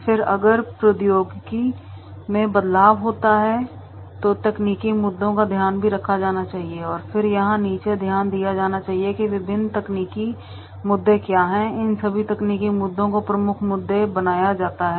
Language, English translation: Hindi, Then if there is a change of technology then technological issues that is to be taken into consideration and then that is to be noted down here that is what are the different technological issues are there and making these all technical issues relevant and prominent issues and that will be noted down in general category